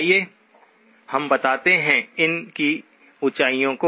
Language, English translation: Hindi, Let us figure out, the heights of these